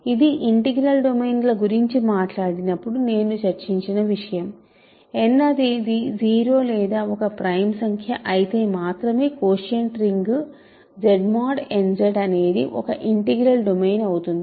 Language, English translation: Telugu, This is something that I discussed when I talked about integral domains, the quotient ring Z mod n Z is an integral domain only if n is 0 or n is a prime number